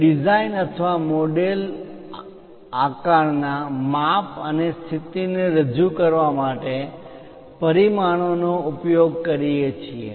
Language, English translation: Gujarati, We use dimension to represent size and position of the design or model shape